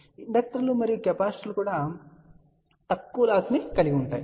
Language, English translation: Telugu, Now of course, inductors and capacitors also have small losses